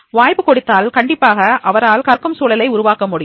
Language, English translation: Tamil, If you give him the opportunity, definitely he will be able to create that learning environment